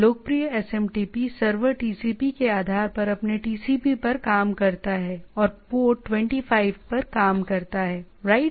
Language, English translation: Hindi, Popular SMTP server is works on its TCP, on the basis of TCP and works on port 25, right